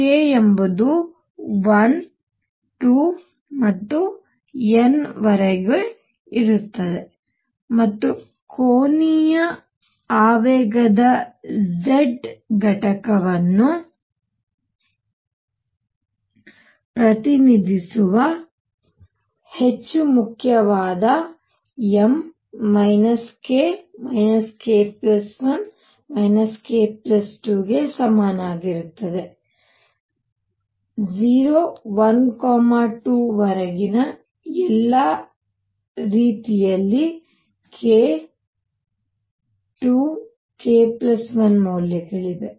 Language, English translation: Kannada, k is 1 2 and up to n, and more important m which represents the z component of angular momentum is equal to minus k, minus k plus 1, minus k plus 2 all the way up to 0, 1, 2 all the way up to k 2 k plus 1 values